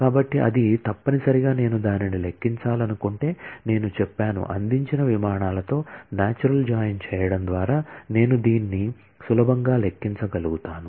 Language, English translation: Telugu, So, that will necessarily, if I want to compute that, then I will be able to compute this very easily by doing natural join of flights with flights provided, I take say source